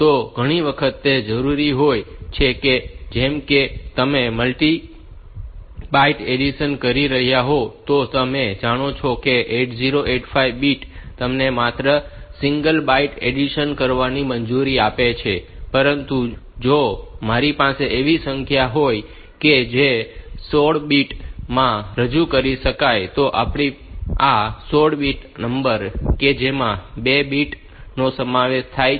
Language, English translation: Gujarati, So, many times it is necessary like if you are doing a multi byte addition like say if you are, you know that 8085 bit allows you to do only single byte addition, but if I have got numbers that can be represented in 16 bits